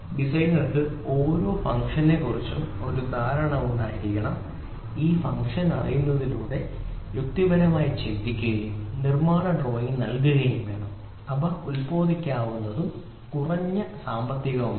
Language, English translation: Malayalam, So, the designer has to have an understanding of each function knowing this function he has to logically think and give a manufacturing drawing such that it is manufacturable and it is also economical